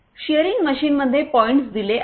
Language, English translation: Marathi, In shearing machine points are given